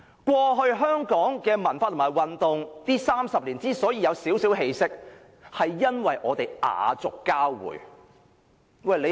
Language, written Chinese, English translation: Cantonese, 過去30年，香港的文化和運動出現了少許起色，因為我們雅俗交匯。, Over the past 30 years there was slight improvement in the culture and sports of Hong Kong as we have moved to the direction of pop - classical fusion